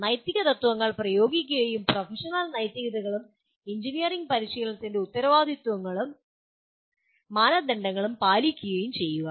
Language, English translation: Malayalam, Apply ethical principles and commit to professional ethics and responsibilities and norms of the engineering practice